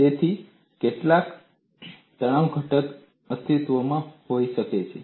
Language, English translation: Gujarati, So, some stress component may exist